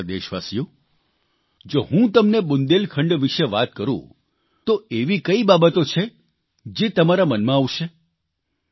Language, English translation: Gujarati, if I mention Bundelkhand to you, what are the things that will come to your mind